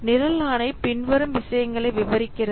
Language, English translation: Tamil, The program mandate describes what